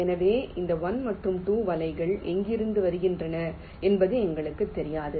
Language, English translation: Tamil, so we do not know exactly from where this one and two nets are coming